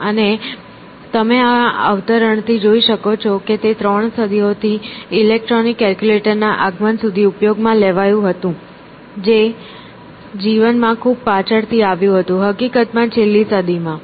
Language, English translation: Gujarati, And, as you can see from this quote it was used for 3 centuries until the advent of the electronic calculator which came only much later in life, in fact, in the last century